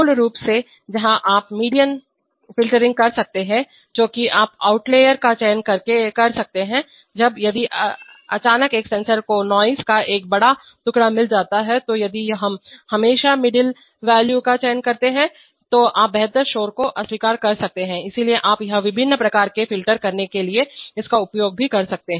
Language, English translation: Hindi, Where basically, where you can do median filtering that is you can select outliers, when, if suddenly one sensor gets a big piece of noise then if we choose always the middle value, then you can reject noise better, so you can it can also use it for doing various kinds of filtering so